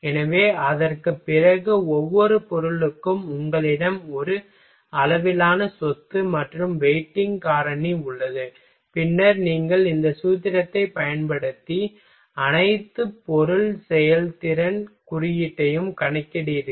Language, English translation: Tamil, So, after that for each material you have a scale property as well as weighting factor, then you just using this formula you calculate over all material performance index ok